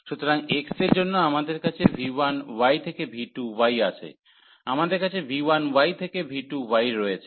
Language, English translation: Bengali, So, for x we have v 1 y to v 2 y, we have v 1 y and to v 2 y